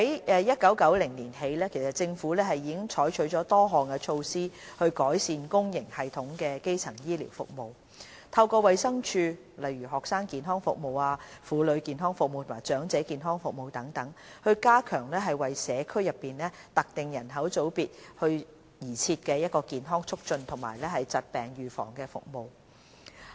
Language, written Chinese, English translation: Cantonese, 自1990年起，政府已採取了多項措施以改善公營系統的基層醫療服務，透過衞生署，推行例如學生健康服務、婦女健康服務和長者健康服務，加強為社區內特定人口組別而設的健康促進及疾病預防服務。, The Government has taken steps to improve primary health care services in the public system since 1990 . Community health promotion and disease prevention services for specific sub - groups of the population have also been strengthened through the services of the Department of Health DH including the Student Health Service the Women Health Service and the Elderly Health Service